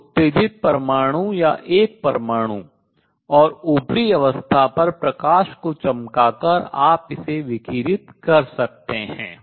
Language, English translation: Hindi, So, by shining light on and exited atom or an atom and upper state you can make it radiate